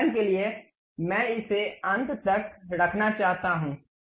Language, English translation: Hindi, For example, I want to keep it to this end